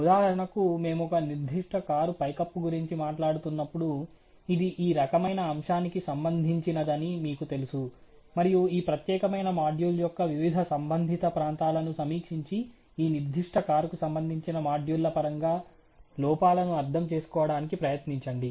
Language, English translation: Telugu, For example, let us say when we are talking about the roof of a particular car, you know this can be related to something like, you know this kind of an aspect, and you know one of the possibilities is to sort of review, the various related areas of this particular, you know module and try to understand the defects in terms of the modules related to this particular car